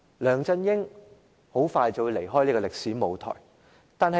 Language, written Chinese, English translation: Cantonese, 梁振英很快便會成為歷史。, LEUNG Chun - ying will soon be history